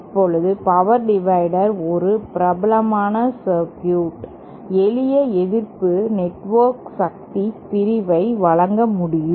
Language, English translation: Tamil, Now, power divider is a well known circuit, simple resistive network can provide power division